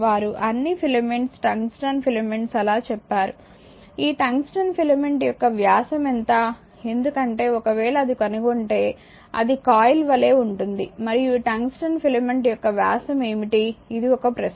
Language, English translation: Telugu, So, they have all the filaments tungsten filaments say so, a question to what is the diameter on this, your this tungsten filament because if you see then you will find it is look like a coin right and what is that your diameter of this tungsten filament this is a question to you